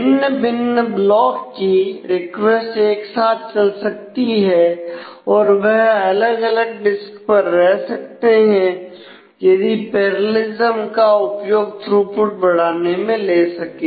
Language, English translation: Hindi, So, the request to different blocks can run in parallel and reside on different disk and if they can easily utilize this parallelism to improve the throughput